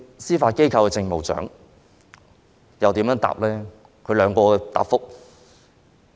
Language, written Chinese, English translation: Cantonese, 司法機構政務長如何回答這條問題呢？, How about the Judiciary Administrator who also replied to this question?